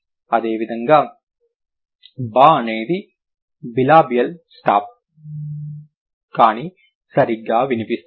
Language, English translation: Telugu, Similarly, bur would be bilabial, stop but voiced, right